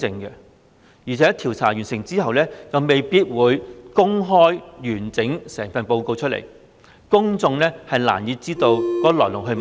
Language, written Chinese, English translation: Cantonese, 而且調查完成後，亦未必會公開完整報告，公眾難以知道事情的來龍去脈。, Moreover after the inquiry is completed the full report may not be disclosed . It is difficult for the public to know the circumstances surrounding the whole matter